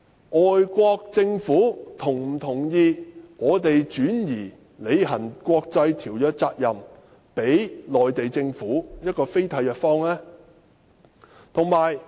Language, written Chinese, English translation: Cantonese, 外國政府是否同意香港把履行國際條約的責任轉交予非締約方的內地？, Will the foreign governments agree to let Hong Kong transfer the responsibility to discharge its international obligations to the Mainland which is a non - contracting party?